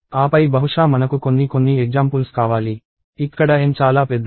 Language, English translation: Telugu, And then maybe I want something some examples where N is very large